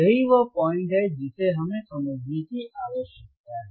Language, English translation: Hindi, That is the point that we need to understand